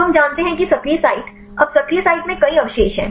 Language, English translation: Hindi, So, we know the active site now there are several residues in the active site